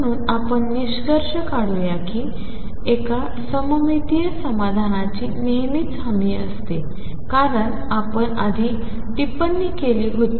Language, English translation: Marathi, So, let us conclude one symmetric solution is always guaranteed as we commented earlier